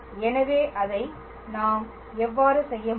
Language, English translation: Tamil, So, how we can do that